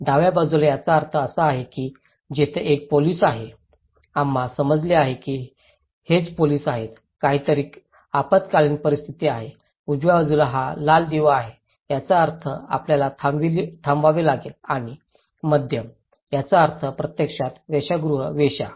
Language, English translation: Marathi, In the left hand side, it means there is a police, there we understand that okay this is the police, something is an emergency, in the right hand side, it is the red light that means you have to stop and in the middle, it means actually a brothel; the prostitutions